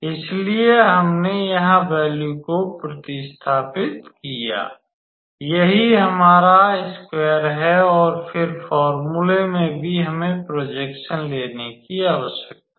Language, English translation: Hindi, So, we substituted the value here and then, that is our this square and then, in the formula also we need to take the projection